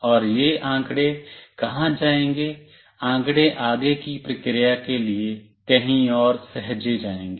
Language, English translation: Hindi, And where this data will go, the data will be saved somewhere for further processing